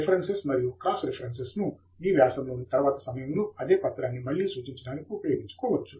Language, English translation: Telugu, Use References, Cross reference to refer to the same document again at a later point in your article